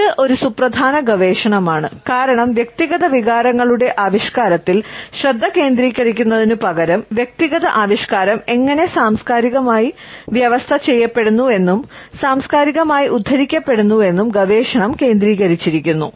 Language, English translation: Malayalam, This is a significant research, because instead of focusing on the expression of individual emotions, the research has focused on how the individual expression itself is culturally conditioned and culturally quoted